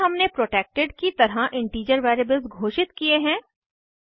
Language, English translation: Hindi, In this we have declared integer variables as as protected